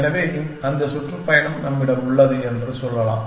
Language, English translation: Tamil, So, let us say we have that tour